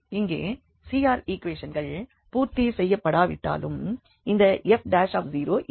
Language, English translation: Tamil, But here the CR equations are not satisfied at any point